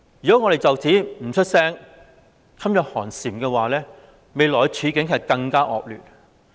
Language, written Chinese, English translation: Cantonese, 如果我們不就此作聲，噤若寒蟬，未來的處境便會更惡劣。, If we do not voice out and remain silent out of fear the situation will worsen in future